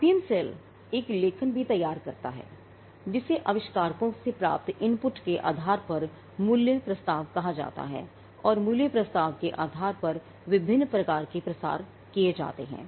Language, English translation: Hindi, The IPM cell also prepares a write up called the value proposition based on the inputs from the inventers and based on the value proposition different types of dissemination is undertaken